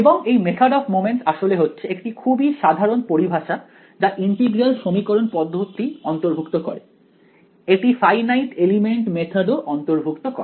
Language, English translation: Bengali, And this method of moments is actually it is a very general term it includes integral equation methods; it also includes finite element methods ok